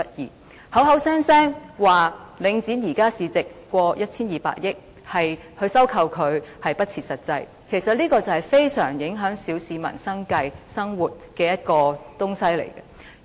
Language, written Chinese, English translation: Cantonese, 他們口口聲聲說領展現時市值超過 1,200 億元，進行回購不切實際，但這是非常影響小市民生計的東西。, They said categorically that a buy - back is impractical because the market value of Link REIT is currently worth over 120 billion but this is something affecting the livelihood of the ordinary public most profoundly